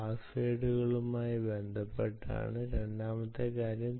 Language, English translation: Malayalam, the second thing is with is with respect to passwords